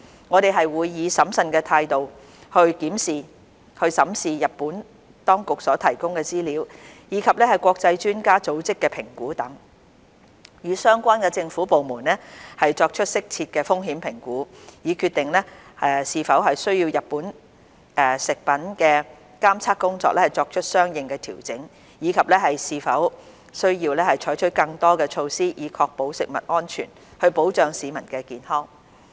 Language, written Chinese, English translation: Cantonese, 我們會以審慎態度審視日本當局所提供的資料，以及國際專家組織的評估等，與相關政府部門作出適切的風險評估，以決定是否需要就日本食品的監測工作作出相應調整，以及是否需要採取更多措施，以確保食物安全，保障市民的健康。, We will carefully examine the information provided by the Japanese authorities and the assessments made by international expert organizations etc and conduct risk assessments with the relevant government departments as appropriate to determine whether monitoring work on Japanese food should be adjusted accordingly and whether additional measures are required to ensure food safety and safeguard public health